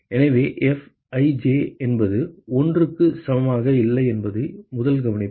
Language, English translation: Tamil, So, the first observation is that Fij is not equal to 1